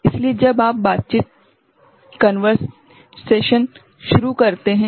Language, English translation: Hindi, So, when you start the conversation